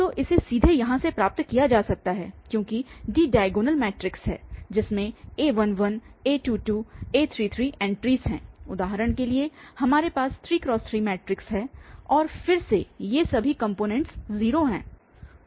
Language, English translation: Hindi, So, which can be seen directly from here because this D inverse, so D is the diagonal matrix having these entries a11, a22, a33 for instances we have 3 by 3 matrix and then all these components are 0 that is our D and this L and U are the lower and the upper ones